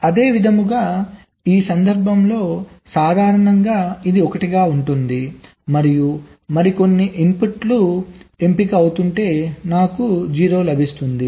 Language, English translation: Telugu, similarly, for this case, normally it is one, and if some other inputs are getting selected, i will get a zero